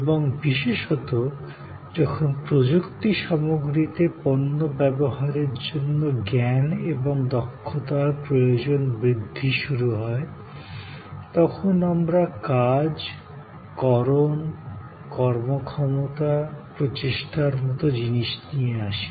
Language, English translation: Bengali, And particularly, when the technology content started increasing the need of knowledge and expertise to operate to use products started augmenting, we brought in things like acts, deeds, performances, efforts